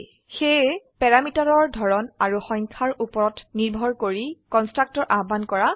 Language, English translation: Assamese, So depending on the type and number of parameter, the constructor is called